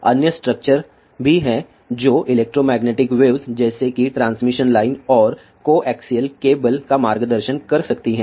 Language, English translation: Hindi, There are other structures also which can guide electromagnetic waves such has transmission lines and co axial cables